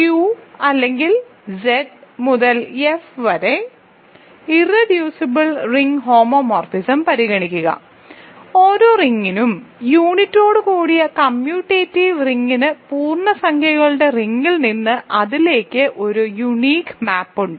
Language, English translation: Malayalam, So, consider the unique ring homomorphism from Q or rather Z to F, for every ring, commutative ring with unity there is a unique map from the ring of integers to it